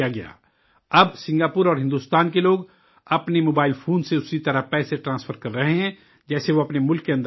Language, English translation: Urdu, Now, people of Singapore and India are transferring money from their mobile phones in the same way as they do within their respective countries